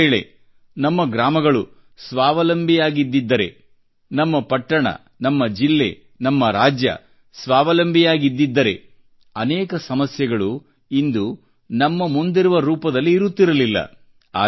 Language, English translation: Kannada, Had our villages, towns, districts and states been selfreliant, problems facing us would not have been of such a magnitude as is evident today